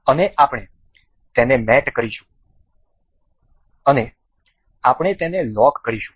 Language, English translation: Gujarati, And we will mate it up, and we will lock it